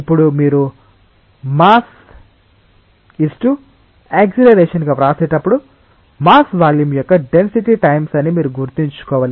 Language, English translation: Telugu, Now when you write the mass into acceleration, you have to keep in mind that the mass is the density times the volume